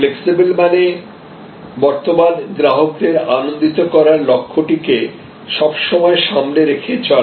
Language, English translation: Bengali, Flexible means that keeping the pole star of delighting your current customers in front of you